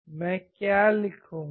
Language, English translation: Hindi, What will I write